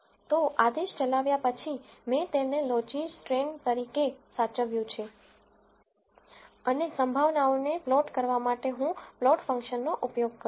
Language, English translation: Gujarati, So after you run the command I have saved it as logistrain and I am going to use the plot function to plot the probabilities